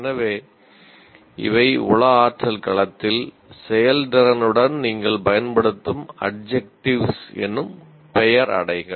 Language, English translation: Tamil, So these are the words are adjectives that you would use with the performance in psychomotor domain